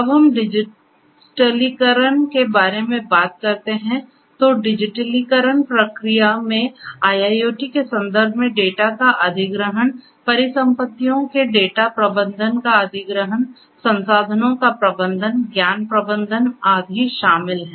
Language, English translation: Hindi, So, when we talk about digitization, so you know the digitization process involves acquisition of the data in the context of IIoT, acquisition of data management of assets, management of resources, knowledge management and so on